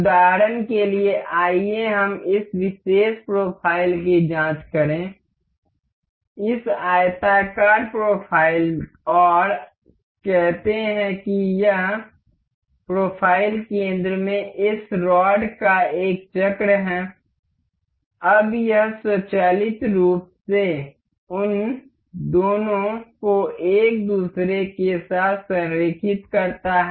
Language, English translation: Hindi, For instance, let us just check this particular profile; this rectangular profile and the say this is a circle of this rod in the profile center, now it automatically aligns the two of them to each other